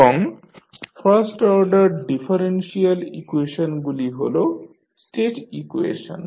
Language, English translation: Bengali, And the first order differential equations are the state equation